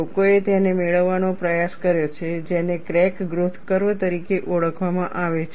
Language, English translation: Gujarati, People have attempted to get what are known as crack growth curve